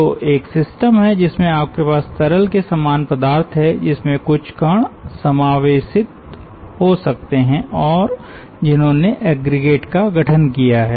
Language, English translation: Hindi, so you are having a system in which you have some liquid type of substrate in which you may have some particulate inclusions and they have formed aggregates, so to say